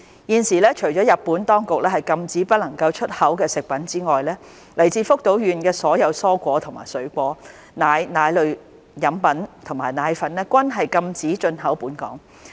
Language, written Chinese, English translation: Cantonese, 現時，除了日本當局禁止不能出口的食品之外，來自福島縣的所有蔬菜及水果、奶、奶類飲品及奶粉均禁止進口本港。, Currently apart from the food products that are prohibited from export by the Japanese authorities all vegetables fruits milk milk beverages and dried milk from Fukushima are prohibited from import to Hong Kong